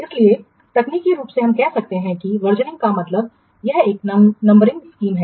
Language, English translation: Hindi, So, technically we can say that versioning is means it is a numbering scheme